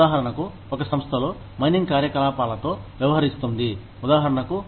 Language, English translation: Telugu, For example, in a company, that deals with mining operations, for example